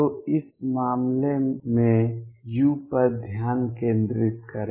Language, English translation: Hindi, So, focuses on u in this case